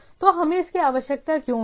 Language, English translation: Hindi, So, why we required this